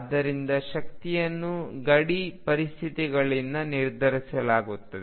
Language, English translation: Kannada, So, the energy is determined by boundary conditions